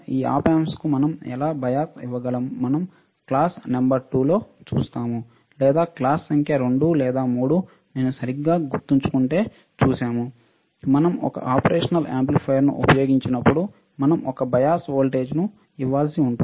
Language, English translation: Telugu, How we can give biasing to this op amp, we have not seen we will see in the class number 2, or we have seen the class number 2 or 3 if I correctly remember, that when we use an operational amplifier, we have to give a bias voltage